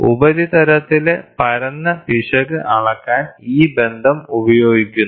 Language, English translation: Malayalam, So, by this relationship is used to measure the flatness error on the surface